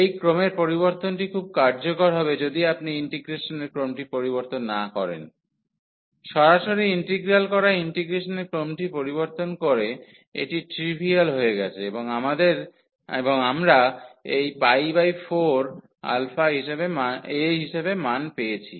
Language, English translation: Bengali, So, this change of order was very useful if you would have not change the order of integration, the direct integral was difficult to compute purchase by changing the order of integration it has become trivial and we got the value as this pi by 4 a